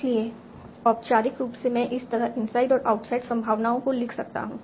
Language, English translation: Hindi, So formally that's how I can write the outside and inside probabilities